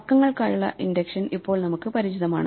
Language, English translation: Malayalam, Now we are familiar with induction for numbers